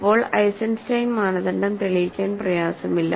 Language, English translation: Malayalam, It is not difficult to now show that, now prove the Eisenstein criterion